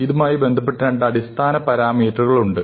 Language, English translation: Malayalam, Now, there are two fundamental parameters that are associated with this